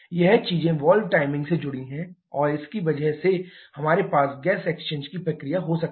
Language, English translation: Hindi, These things related to the valve timing and because of that we can have a gas exchange process